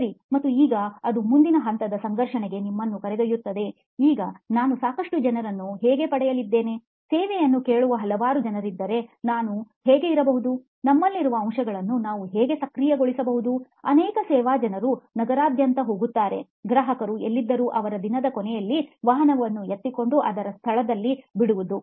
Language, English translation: Kannada, Ok, and now that leads us to the next level of conflict also saying now how am I going to get enough people, if there are too many people asking for the service, how might I, how might we enable the fact that we have so many service people going all over the city, wherever the customers are, picking them up and then dropping off at the end of the day